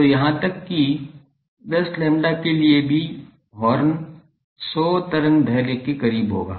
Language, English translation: Hindi, So, even for 10 lambda thing the horn will be close to 100 wavelength long